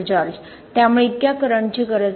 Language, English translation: Marathi, Yeah So it does not need so much current